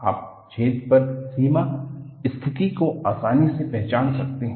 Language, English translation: Hindi, You can easily identify the boundary condition on the hole